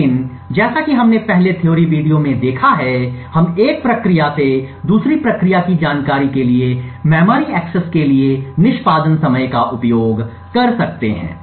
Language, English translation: Hindi, But what we will see in as we have seen in the theory videos before, we could use the execution time for a memory access to pass on information from one process to the other